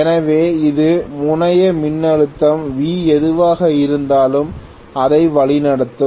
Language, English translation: Tamil, So, this will be leading whatever is the terminal voltage, this is the terminal voltage V